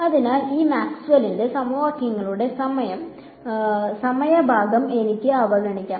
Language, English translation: Malayalam, So, I can ignore the time part of these Maxwell’s equations right